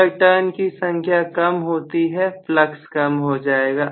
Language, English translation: Hindi, So, if the number of turns are decreased, the flux will get decreased